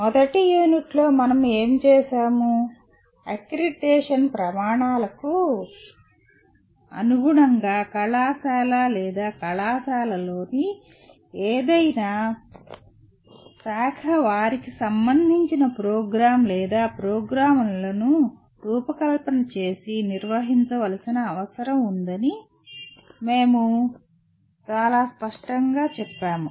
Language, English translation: Telugu, And what we have done in the first unit, we stated very clearly that the college or the department offering the program needs to design and conduct its programs to meet several stated outcomes to meet the accreditation criteria